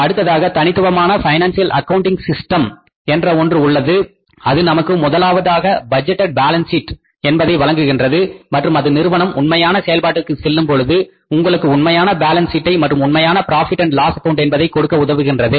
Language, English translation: Tamil, Then we have the specialized financial accounting system which helps us to say give you the budgeted balance sheets first and then it helps you to give you the actual balance sheets, actual profit and loss accounts when the firms go for the performance